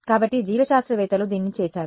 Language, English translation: Telugu, So, biologists have done this